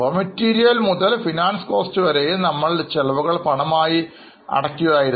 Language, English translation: Malayalam, All the expenses starting from cost of raw material consumed to finance costs, we were paying in cash